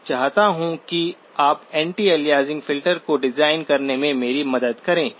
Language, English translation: Hindi, I want you to help me design the anti aliasing filter